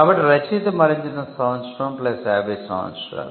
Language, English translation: Telugu, So, the year on which the author died plus 50 years